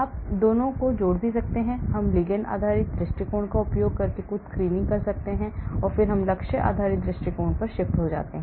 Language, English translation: Hindi, You can also combine both, we can do some screening using the ligand based approach and then we shift to the target based approach